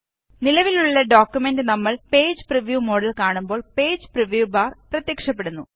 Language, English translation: Malayalam, Click on File and click on Page Preview The Page Preview bar appears when you view the current document in the page preview mode